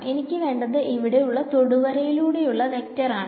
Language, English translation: Malayalam, I just want a vector along the tangent over here ok